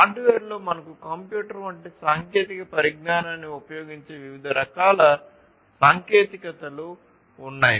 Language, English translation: Telugu, So, within hardware we have different types of technologies that are used commonly technologies such as computer